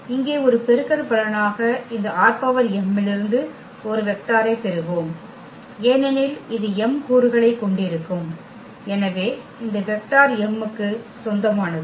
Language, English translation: Tamil, So, as a product here we will get a vector from this R m because this will have m component and so, this vector will belong to R m